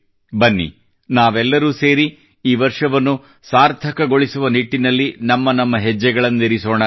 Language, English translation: Kannada, Come, let us all work together to make this year meaningful